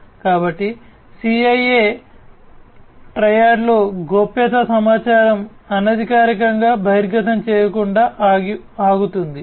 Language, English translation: Telugu, So, confidentiality in the CIA Triad stops from unauthorized disclosure of information